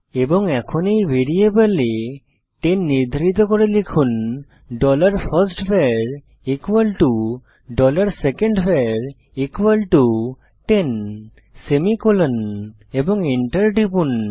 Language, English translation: Bengali, And now let us assign the value 10 to both of these variables by typing, dollar firstVar equal to dollar secondVar equal to ten semicolon And Press Enter